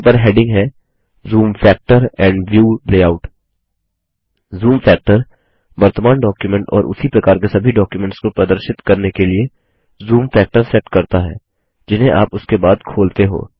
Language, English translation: Hindi, It has headings namely, Zoom factor and View layout The Zoom factor sets the zoom factor to display the current document and all documents of the same type that you open thereafter